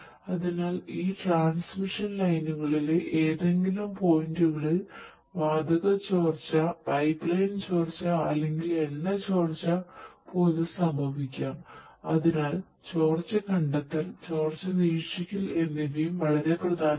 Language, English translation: Malayalam, So, gas leakage, pipeline leakage or even the oil leakage might happen in any of the points in these transmission lines and so, leakage detection, leakage monitoring is also very important